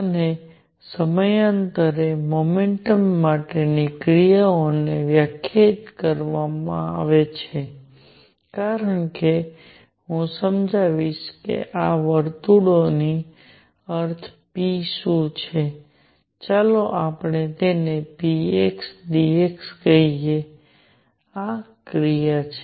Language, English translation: Gujarati, And actions for periodic motion is defined as I will explain what this circle means p, let us call it p x d x this is the action